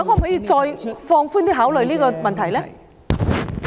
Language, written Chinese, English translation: Cantonese, 局長可否放寬考慮這個問題呢？, Will the Secretary consider relaxing the rules?